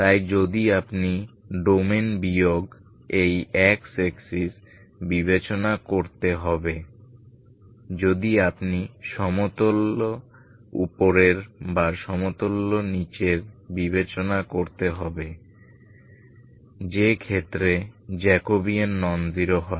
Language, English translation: Bengali, So except you have to consider the domain minus this X axis if you have to consider either upper of plane or lower of plane in which if you consider is Jacobian is non zero